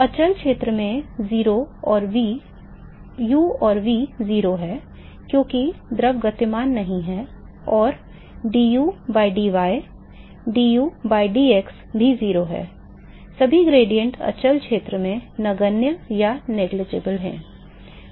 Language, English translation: Hindi, In the quiescent region, u and v are 0, because the fluid is not moving and also du by dy du by dx they are also 0 all the gradients are negligible in the quiescent region